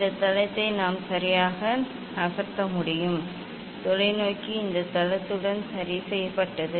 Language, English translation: Tamil, this base we cannot rotate move ok; telescope is fixed with this base